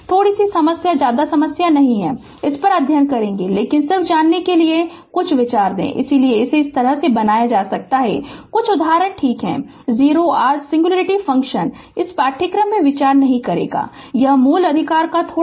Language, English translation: Hindi, Little bit problem not much problem, we will study on this, but just to you know give you a some ideas; that is why we have made we have made it like this, some example right, other singularity function we will not consider in this course; this is just little bit of basic right